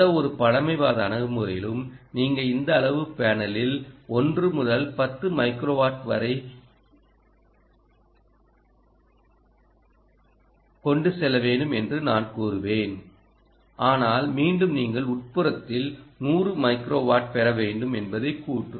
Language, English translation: Tamil, come to indoor, for any conservative approach i would say you must go away with ah, something like one to ten microwatts ah of this size panel, but the claim again is that you should get up to hundred microwatt indoor